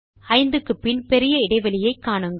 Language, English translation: Tamil, Notice the new gap after the number 5